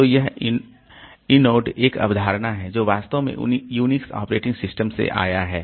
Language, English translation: Hindi, So, this I node is a concept that actually came from the Unix operating system